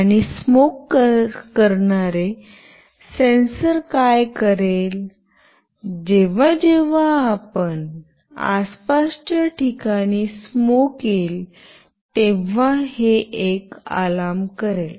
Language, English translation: Marathi, And what the smoke sensor will do, whenever it senses smoke in the surrounding, it will make an alarm